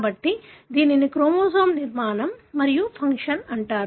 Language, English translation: Telugu, So this is called as chromosome structure and function